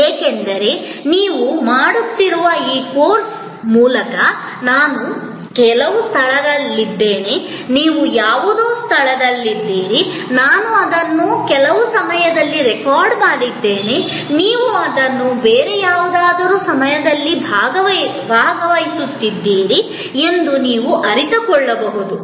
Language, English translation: Kannada, Because, you can realize that, through this very course that you are doing, I am at some place, you are at some place, I have recorded it in some point of time, you are participating it in some other point of time, yet we are connected